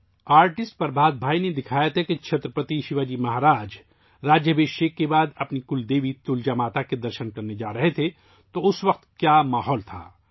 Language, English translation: Urdu, Artist Prabhat Bhai had depicted that Chhatrapati Shivaji Maharaj was going to visit his Kuldevi 'Tulja Mata' after the coronation, and what the atmosphere there at that time was